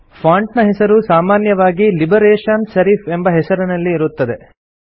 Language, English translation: Kannada, The font name is usually set as Liberation Serif by default